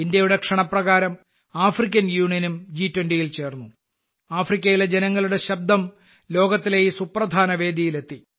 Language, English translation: Malayalam, The African Union also joined the G20 on India's invitation and the voice of the people of Africa reached this important platform of the world